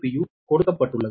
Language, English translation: Tamil, u is equal to v